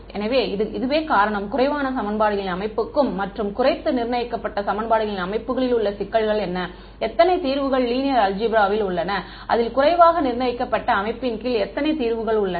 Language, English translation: Tamil, So, this is the reason why this is the underdetermined system of equations and what is the problem with underdetermined systems of equations, how many solutions from linear algebra we know, how many solutions that is under underdetermined system have